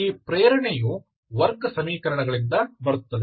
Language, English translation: Kannada, So the motivation comes from the quadratic equations